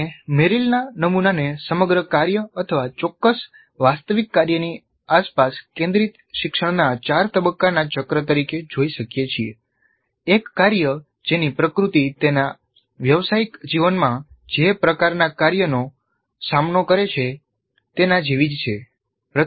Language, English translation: Gujarati, So we can look at the Merrill's model as a four phase cycle of learning centered around a whole task, a realistic task, a task whose nature is quite similar to the kind of tasks that the learners will face in their professional life